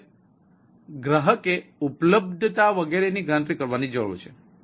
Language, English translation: Gujarati, so now consumer need to calculate the availability, etcetera